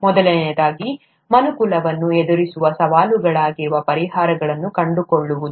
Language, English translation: Kannada, First, to find solutions to challenges, that face mankind